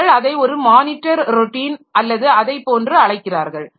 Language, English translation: Tamil, They call it a monitor routine or something like that